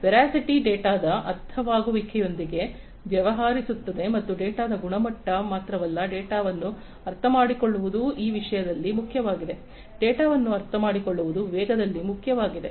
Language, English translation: Kannada, Veracity deals with the understandability of the data and not just the quality of the data, understanding the data is important in this thing; understanding the data is important in velocity